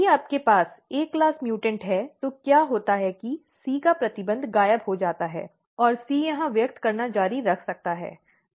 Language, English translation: Hindi, So, if you have A mutant, A class the mutant what happens that the restriction of C disappears and C can continue expressing here